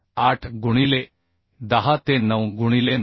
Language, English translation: Marathi, 8 into 10 to the 9 into 9